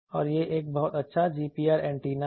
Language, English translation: Hindi, And this is a very good GPR antenna